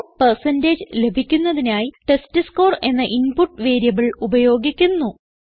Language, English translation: Malayalam, The input variable named testScore is used to get the score percentage